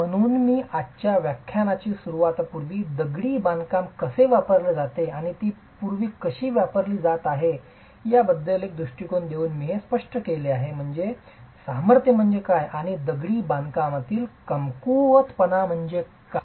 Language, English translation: Marathi, So, I begin today's lecture by giving you a perspective on how masonry is used and how has it been used in the past, but that clearly comes from an understanding of what is the strength and what is the weakness of masonry